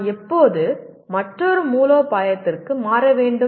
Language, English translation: Tamil, When should I switch to another strategy